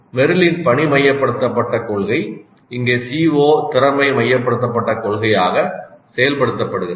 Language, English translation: Tamil, So this place the role of a task and Merrill's task centered principle is implemented here as CO centered principle or CO competency centered principle